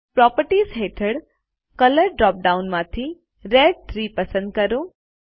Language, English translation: Gujarati, Under Properties, lets select Red 3 from the Color drop down